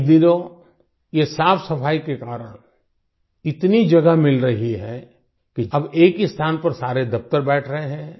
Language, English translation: Hindi, These days, due to this cleanliness, so much space is available, that, now, all the offices are converging at one place